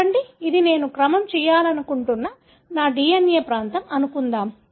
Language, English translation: Telugu, Say, suppose this is my DNA region that I want to be sequenced